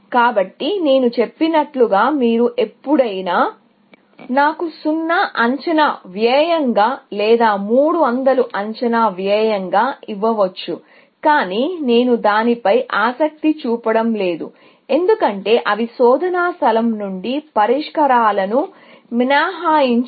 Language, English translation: Telugu, So, as I said, you can always give me 0 as an estimated cost, or 300 as an estimated cost, but I am not interested in that, because they will not exclude solutions from a search space, essentially